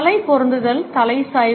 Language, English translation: Tamil, Head positioning, head tilt